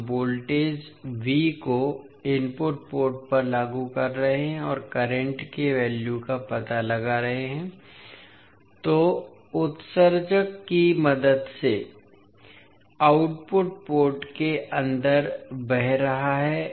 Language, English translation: Hindi, We are applying the voltage V across input port and finding out the value of current which is flowing inside the output port with the help of emitter